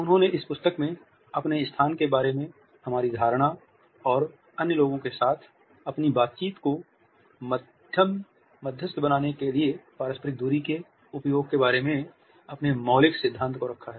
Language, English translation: Hindi, He has put across in this book his seminal theory about our perception of a space and use of interpersonal distances to mediate their interactions with other people